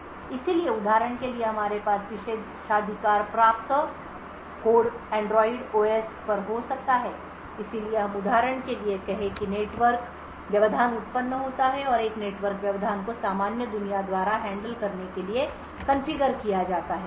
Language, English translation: Hindi, So, for example we have privileged code over here could be at Android OS so let us say for example that a network interrupt occurs and a network interrupts are configured to be handle by the normal world